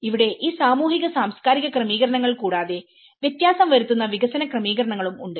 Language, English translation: Malayalam, Here, apart from these social cultural settings, there is also development settings which makes a difference